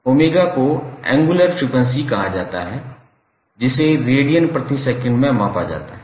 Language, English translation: Hindi, Omega is called as angular frequency which is measured in radiance per second